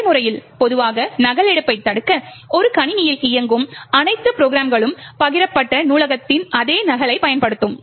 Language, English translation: Tamil, In practice, typically to prevent duplication, all programs that are running in a machine would use the same copy of the shared library